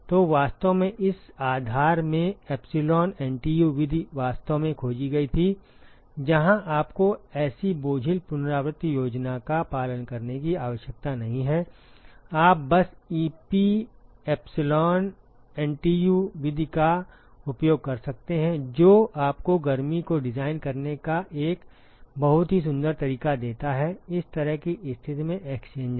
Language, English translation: Hindi, So, in fact, in this premise is what the epsilon NTU method was actually discovered where you do not have to follow such cumbersome iterative scheme, you can simply use the epsilon NTU method which gives you a very elegant way to design the heat exchanger under this kind of a situation